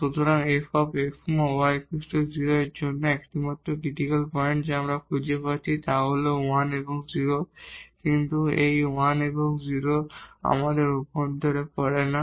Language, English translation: Bengali, So, the only critical point which we are finding for this f x y is equal to 0 is 1 and 0, but this 1 and 0 point does not fall in our interior